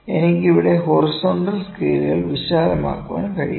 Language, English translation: Malayalam, I can widen the horizontal scale here